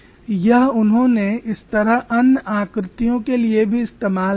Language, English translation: Hindi, They have extended this to other shapes also